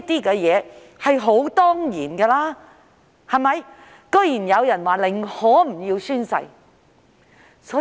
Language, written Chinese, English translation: Cantonese, 這是理所當然的，但居然有人表示寧可不宣誓。, It is incumbent upon us to fulfil the requirements but to my surprise some people prefer not to take the oath